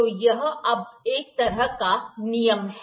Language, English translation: Hindi, So, this is kind of a rule now